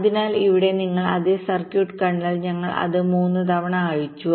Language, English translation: Malayalam, so here, if you see that same circuit, we have unrolled it three times